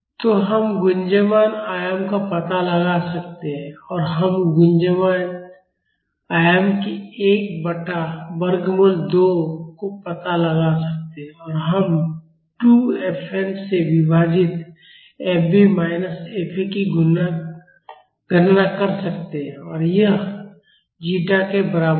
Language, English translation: Hindi, So, we can find out the resonant amplitude and we can find out 1 by root 2 times the resonant amplitude and we can calculate fb minus fa divided by 2 fn and that would be equal to zeta